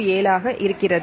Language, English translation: Tamil, 07 now this is rigid